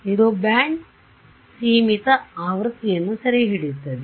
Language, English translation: Kannada, It will capture a band limited version